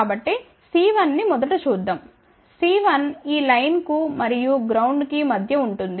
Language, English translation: Telugu, So, first let us see C 1; C 1 is between this line and the ground